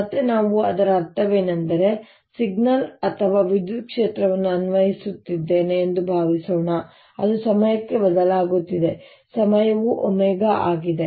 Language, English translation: Kannada, again, what we mean by that is: let's suppose i am applying a signal or electric field which is changing in time, the time period is omega